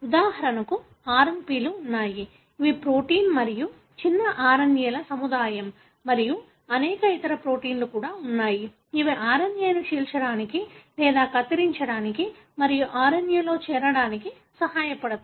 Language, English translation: Telugu, For example there are RNP’s which is a complex of protein and small RNA’s and there are also many other proteins which help in cleaving or cutting the RNA and joining the RNA